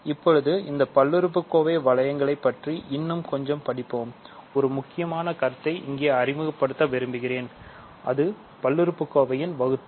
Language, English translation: Tamil, So, now let us study these polynomial rings a little bit more, I want to introduce an important concept here: we want to be able to divide polynomials